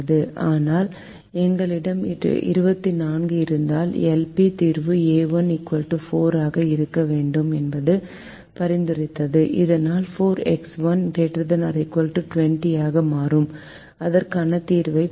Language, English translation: Tamil, but because we are twenty four, the l p solution was suggesting that a one should be equal to four, so that four x one becomes greater than or equal to twenty, and we can get a solution